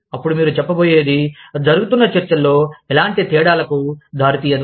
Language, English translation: Telugu, When, what you are going to say, will not make any difference, to the discussion, that is going on